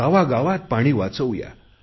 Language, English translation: Marathi, Every village should save water